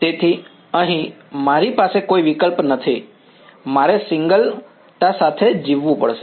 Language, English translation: Gujarati, So, here I have no choice, I have to live with the singularities